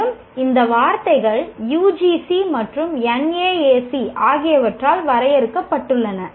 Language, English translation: Tamil, And these words are as defined by UGC and NAC